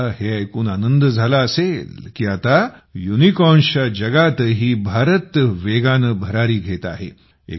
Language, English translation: Marathi, You will be very happy to know that now India is flying high even in the world of Unicorns